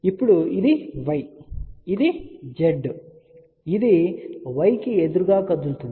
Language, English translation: Telugu, Now, this is y ok, this was Z, we have move opposite this is y